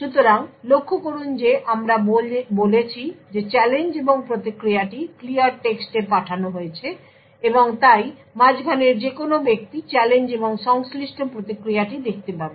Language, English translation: Bengali, So, note that we said that the challenge and the response is sent in clear text and therefore any man in the middle could view the challenge and the corresponding response